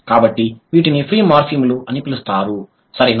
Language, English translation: Telugu, So, these are the ones which are known as free morphemes, right